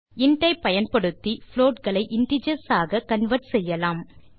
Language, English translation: Tamil, Using int, it is also possible to convert float into integers